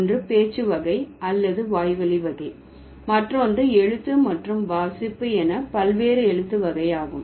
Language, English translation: Tamil, So, one is spoken variety or the oral variety, the other one is written variety, right